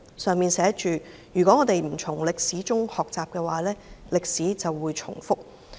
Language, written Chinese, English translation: Cantonese, 牆上寫着"如果我們不從歷史中學習，歷史便會重複"。, It is written on the wall that reads If we do not learn from history history will repeat itself